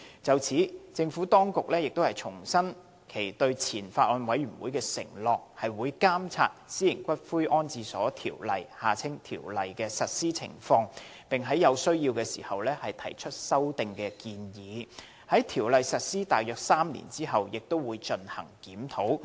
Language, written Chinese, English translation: Cantonese, 就此，政府當局亦重申其對前法案委員會的承諾，即會監察《私營骨灰安置所條例》的實施情況，並在有需要時提出修訂建議，而在《條例》實施約3年後也會進行檢討。, In this regard the Administration reaffirmed its undertaking given to the Former Bills Committee that is it would keep in view the implementation of the Private Columbaria Ordinance after its enactment propose amendments to the Ordinance as and when necessary and conduct a review of the Ordinance in any event around three years after its enactment